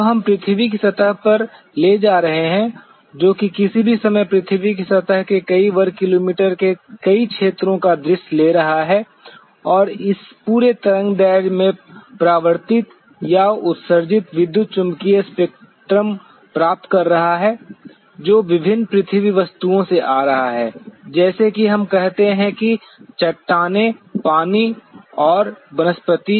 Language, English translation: Hindi, When we are taking the earth surface which is taking a view of several hundreds of square kilometer area of the earth surface at any one point of time and receiving the reflected or emitted electromagnetic spectrum in this entire wavelength and that is coming from the different earth objects as we say rocks soils water and vegetation